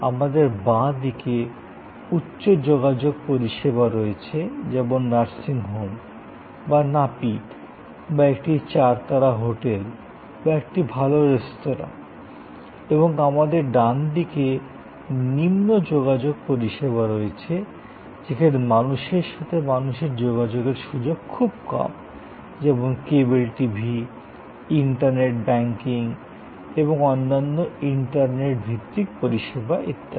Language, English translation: Bengali, We have the high contact services like nursing home are hair cutting saloon or a four star hotel are a good restaurant and known the right hand side we have low contact services, where there is low person to person contact like cable TV are internet banking and other internet base services and so on